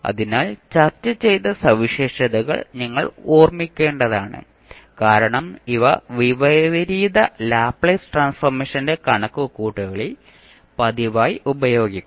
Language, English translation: Malayalam, So, all those, the properties which we have discussed, you have to keep in mind because these will be used frequently in the, calculation of inverse Laplace transform